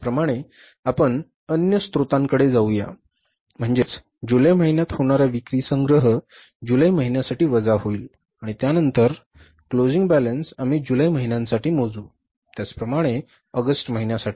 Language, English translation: Marathi, Similarly we will go for the other sources means the collection of sales in the month of July, we will subtract the payment for the month of July and then the closing cash balance we will calculate for the month of July